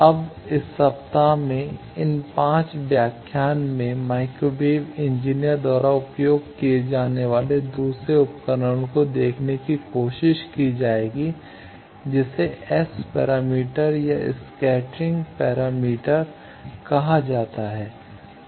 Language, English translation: Hindi, Now, in this week, in this 5 lectures will try to see the second tool that microwave engineers use which is called S parameter or scattering parameter